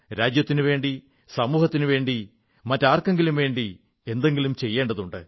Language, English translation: Malayalam, One should do something for the sake of the country, society or just for someone else